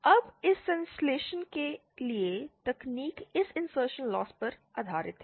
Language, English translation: Hindi, Now the technique for this synthesis is based on this insertion loss